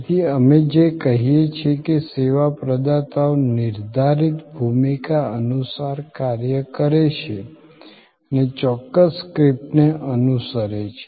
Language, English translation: Gujarati, So, this is, what we say, that the service providers act according to a define role and follow a certain script